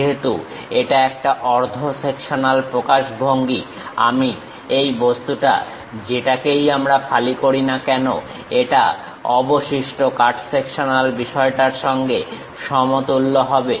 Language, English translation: Bengali, Because, it is a half sectional representation, this object whatever we are slicing it maps the remaining cut sectional thing